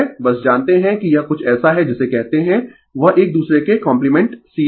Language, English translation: Hindi, Justjust you know it is something like your what you call that you compliment to each other series and parallel right